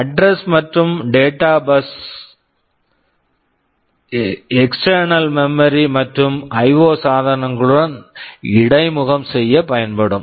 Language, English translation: Tamil, And externally there are some buses, address and data bus and there can be control bus, address and data buses will be used to interface with external memory and IO devices